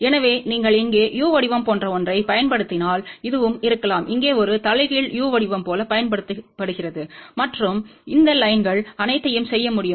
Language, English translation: Tamil, So, if you use something like a u shape here, and this also can be used like a inverted u shape here and the all these lines can be done